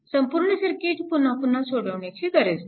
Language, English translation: Marathi, So, no need to solve the whole circuit again and again